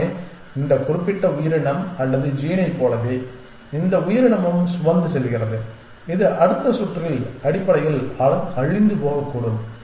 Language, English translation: Tamil, Simply just like this particular creature or the gene which this creature is carrying which likely to become extinct in the next round essentially